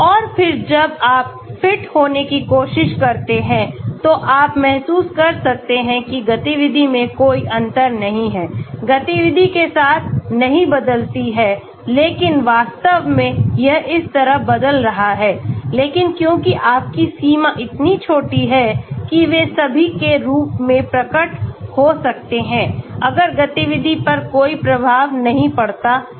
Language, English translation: Hindi, And then when you try to fit, you may feel that there is no difference in the activity, the activity does not change with the descriptor but in reality it may be changing like this but because your range is so small that they all may appear as if there is no effect on the activity